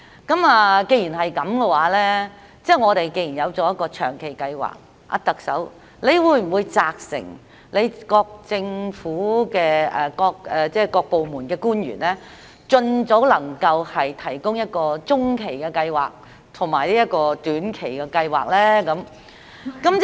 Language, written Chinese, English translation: Cantonese, 既然我們已有長期計劃，特首，你會不會責成各部門的官員，盡早提供中期和短期計劃？, Since we already have a long - term plan Chief Executive will you instruct officials of various departments to provide some medium - term and short - term plans as soon as possible?